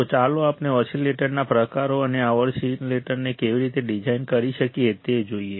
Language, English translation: Gujarati, So, let us see kinds of oscillate and how we can design this oscillator